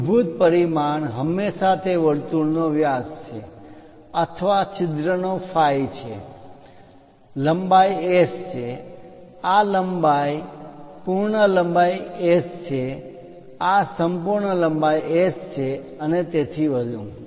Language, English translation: Gujarati, The basic dimensions are always be the diameter of that circle or hole is phi S, the length is S, this length complete length is S, this complete length is S and so on, so things